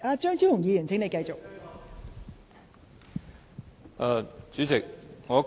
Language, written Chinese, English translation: Cantonese, 張超雄議員，請繼續發言。, Dr Fernando CHEUNG please continue with your speech